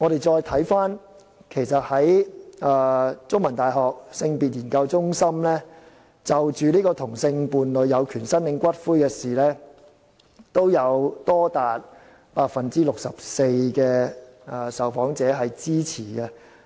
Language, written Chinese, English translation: Cantonese, 再者，香港中文大學性別研究中心曾就同性伴侶有權申領骨灰這議題進行調查，結果也有多達 64% 的受訪者支持。, Furthermore the Gender Research Centre of The Chinese University of Hong Kong has conducted a survey on the right of same - sex partners to claim the ashes of their partners . Findings showed that as many as 64 % of the interviewees supported it